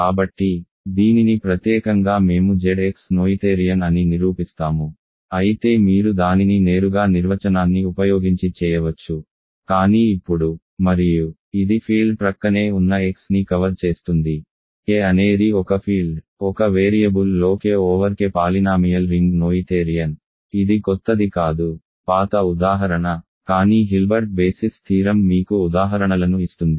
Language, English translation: Telugu, So, this in particular we will prove that Z x is noetherian though you could do that directly just using the definition, but now and also it covers the case of a field adjoined x, K is a field then K polynomial ring over K in one variable is noetherian that is old example that is not new, but it Hilbert basis theorem does giving you examples